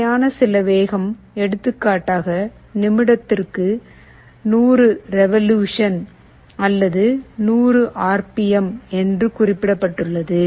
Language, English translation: Tamil, Some required speed is specified, let us say 100 revolutions per minute or 100 RPM